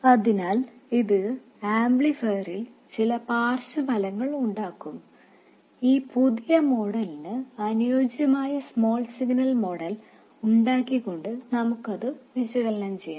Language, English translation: Malayalam, So, this has some implications on the amplifier that we look at by deriving the small signal model corresponding to this new model